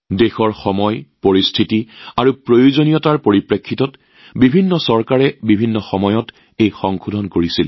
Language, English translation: Assamese, In consonance with the times, circumstances and requirements of the country, various Governments carried out Amendments at different times